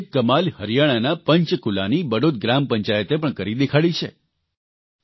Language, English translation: Gujarati, A similar amazing feat has been achieved by the Badaut village Panchayat of Panchkula in Haryana